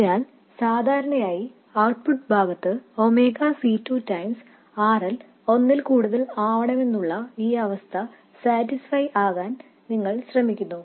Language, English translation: Malayalam, So, typically on the output side you would try to satisfy this condition, that is omega C2 times RL being much more than 1